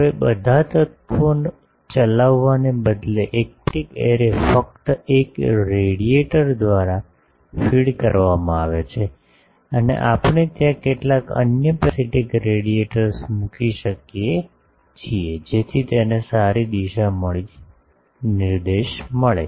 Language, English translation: Gujarati, Now, instead of that, instead of driving all the elements, a parasitic array is fed by only one radiator and there we can put some other parasitic radiators, to give it a good directivity